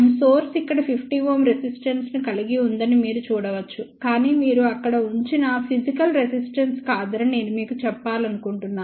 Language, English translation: Telugu, You can see here source is there source has that 50 ohm resistance, but I just want to tell you most of the time it is not a physical resistance you put over there